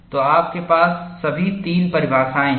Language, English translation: Hindi, So, you have all three definitions